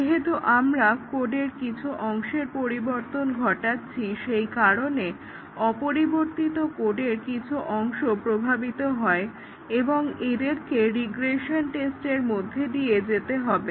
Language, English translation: Bengali, As we change some part of the code, then, some part of the unchanged code gets affected and they have to be regression tested